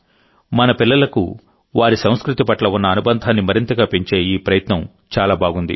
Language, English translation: Telugu, This effort is very good, also since it deepens our children's attachment to their culture